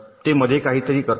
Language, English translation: Marathi, they do something in between